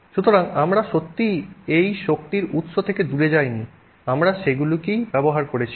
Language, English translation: Bengali, So, we have not really gone away from that you know source of energy so that we are using that